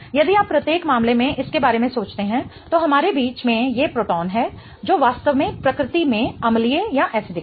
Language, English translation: Hindi, Okay, if you think about it in each of the cases we have these protons in the middle which are really acidic in nature